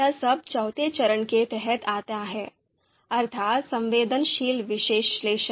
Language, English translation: Hindi, So that all this comes under sensitivity analysis